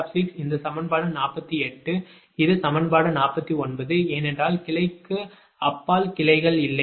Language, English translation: Tamil, this equation forty eight, this is equation forty nine, because there are no branches beyond branch five